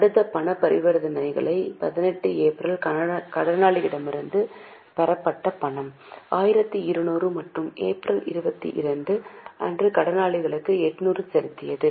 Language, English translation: Tamil, Next cash transaction on 18th April cash received from daters 1 200 and on 22nd April paid cash to creditors 800